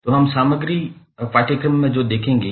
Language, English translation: Hindi, So, we will go through the the the course content